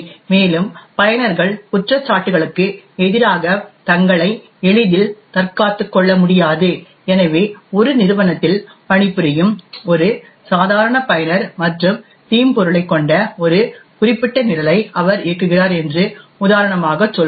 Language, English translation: Tamil, Further user cannot easily defend himself against allegations, so let us say for example that a normal user working in an organisation and he happens to run a particular program which has a malware